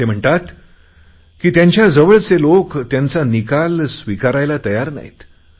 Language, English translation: Marathi, He says that the people around him just don't accept the results